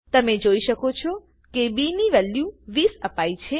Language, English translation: Gujarati, You can see that it has computed the value of b, as 20